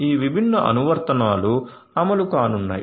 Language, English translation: Telugu, So, this different applications are going to run